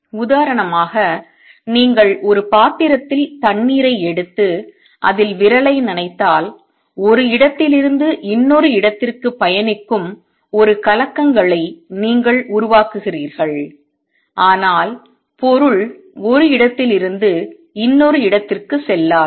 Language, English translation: Tamil, For example, if you take a dish of water and dip your finger in it, you create a disturbance that travels from one place to another, but material does not go from one place to the other